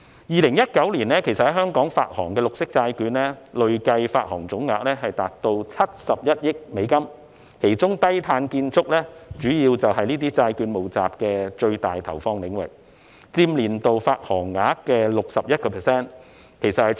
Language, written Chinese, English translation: Cantonese, 2019年在香港發行的綠色債券，累計發行總額達71億美元，其中低碳建築是這些債券募集的最大投放領域，佔年度發行額的 61%， 創歷來的新高。, In 2019 the cumulative green bond issuance in Hong Kong reached US7.1 billion among which low - carbon buildings dominated use of proceeds at a record high of 61 % of the annual issuance